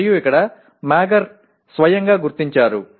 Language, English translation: Telugu, And here Mager himself has identified say if any